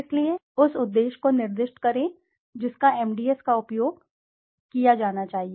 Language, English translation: Hindi, So, specify the purpose of which the MDS as should be used